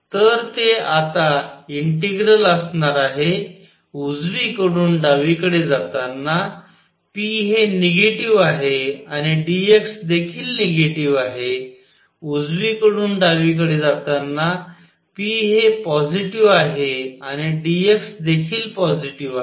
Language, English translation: Marathi, So, that will be the integral now while going from right to left p is negative and d x is also negative while going from right to left p is positive and dx is also positive